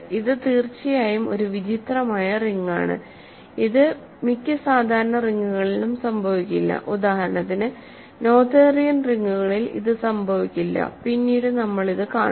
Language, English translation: Malayalam, So, this is a strange ring of course, it will not happen in most common rings and I will tell you for example, it does not happen in Noetherian rings as we will see later